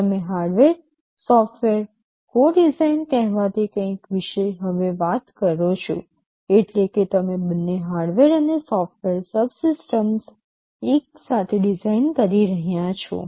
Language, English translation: Gujarati, You talk now about something called hardware software co design, meaning you are designing both hardware and software subsystems together